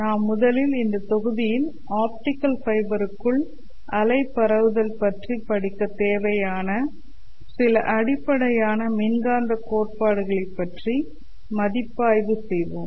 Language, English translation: Tamil, In this module we will first review some basic concepts from electromagnetic theory which is required for us to study the wave propagation inside an optical fiber